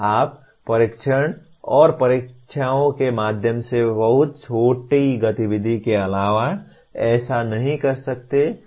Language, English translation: Hindi, You cannot do that other than very small activity through tests and examinations